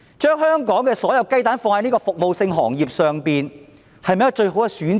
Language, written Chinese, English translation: Cantonese, 將香港所有雞蛋放在服務性行業上，是否一個最好的選擇？, Is it the best option for Hong Kong to rely solely on the service industry?